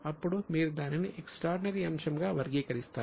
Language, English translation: Telugu, Then it can be considered as an extraordinary item